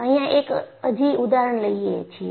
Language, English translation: Gujarati, I will show one more example